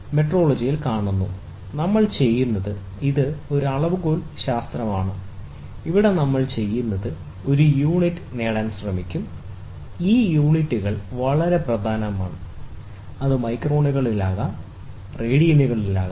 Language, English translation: Malayalam, See in metrology, what we do is we it is a science of measurement, here what we do is, we will try to have magnitude, and then we will try to have a units, these units are very very important, ok, it can be in microns, it can be in radians